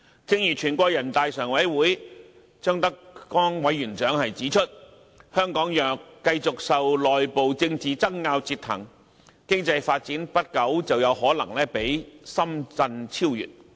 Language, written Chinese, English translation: Cantonese, 正如全國人大常委會張德江委員長指出，香港若繼續受內部政治爭拗折騰，經濟發展不久便可能會被深圳超越。, Mr ZHANG Dejiang Chairman of the Standing Committee of the National Peoples Congress has rightly said that Hong Kong may soon be surpassed by Shenzhen in development if the former continues to be troubled by internal political rows